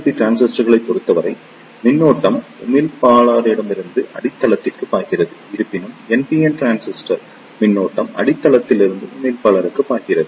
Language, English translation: Tamil, So, in case of PNP transistors, current flows from emitter to the base; however, in case of NPN transistor current flows from base to the emitter